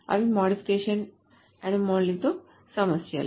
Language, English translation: Telugu, So this is modification anomaly